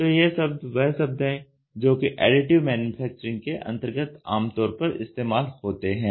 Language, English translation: Hindi, So, this is the conventional cost, this is the Additive Manufacturing